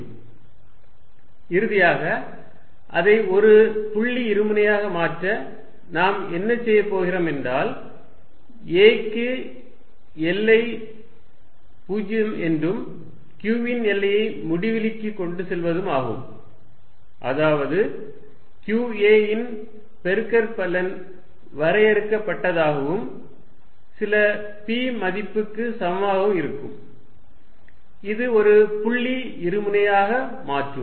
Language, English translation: Tamil, To make it a point dipole finally, what we are going to do is take limit ‘a’ going to 0 and q going to infinity, such that product qa remains finite and equal to some p value that makes it a point dipole